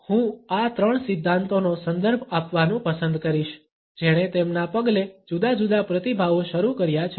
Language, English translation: Gujarati, I would prefer to refer to these three theories, which is started different responses in their wake